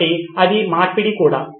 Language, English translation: Telugu, So this is the reversal as well